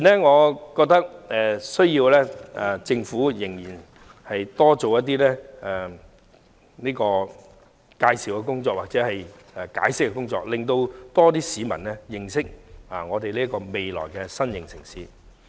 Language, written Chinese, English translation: Cantonese, 我認為政府目前仍要多做介紹和解釋的工作，令更多市民認識這個未來的新型城市。, At present I consider it necessary for the Government to present more details and do more explaining so as to make this future new city more widely known to the public